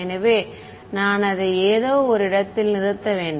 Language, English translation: Tamil, So, I mean I have to stop it at some place